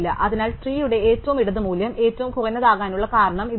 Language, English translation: Malayalam, So, this is the reason why the left most value in the tree will be the minimum